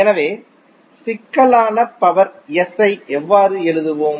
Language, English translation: Tamil, So how we will write complex power S